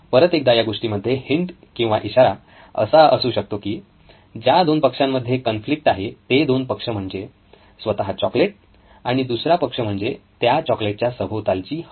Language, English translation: Marathi, Again a hint in this case would be that the parties in conflict is the chocolate itself and the ambient air around the chocolate